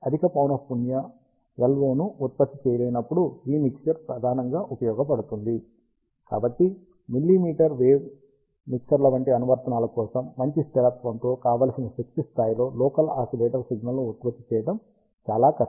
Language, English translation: Telugu, This mixture is mainly used, when a high frequency LO cannot be generated, so for applications such as millimetre wave mixers, it is very difficult to generate a local oscillator signal with good stability, the desired power level, which is high and reasonable cost